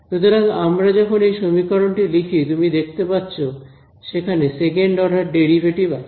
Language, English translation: Bengali, So, when we write this expression out over here, you can see that there are double derivatives second order derivatives